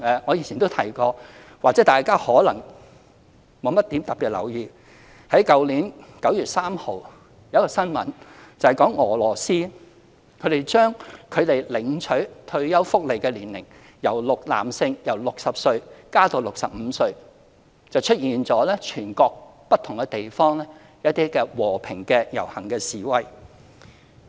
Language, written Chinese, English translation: Cantonese, 我以前也曾提過，但或許大家沒有特別留意，就是去年9月3日有一宗新聞，指俄羅斯將男性領取退休福利的年齡由60歲延遲至65歲，全國不同地方出現和平遊行示威。, I have mentioned this in the past yet Members may not have paid attention to it . On 3 September last year there was a news report about Russia raising the eligibility age for retirement benefits for male applicants from 60 to 65 and this triggered peaceful demonstrations in various places in the country